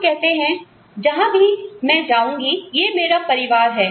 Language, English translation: Hindi, We say, wherever I go, this is my family